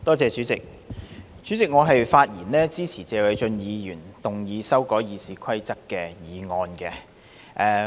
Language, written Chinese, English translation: Cantonese, 代理主席，我發言支持謝偉俊議員動議修改《議事規則》的議案。, Deputy President I rise to speak in support of the motion moved by Mr Paul TSE to amend the Rules of Procedure